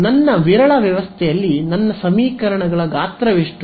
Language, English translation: Kannada, So, my sparse system what is the size of my equations system of equations